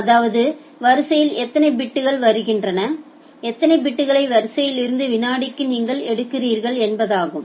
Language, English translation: Tamil, Otherwise you can go for bit per second that how many bits are coming in the queue and how many bits you are taking out of the queue